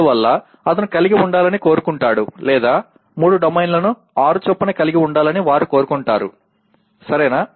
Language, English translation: Telugu, So he would like to have or they would like to have all the three domains as six each, okay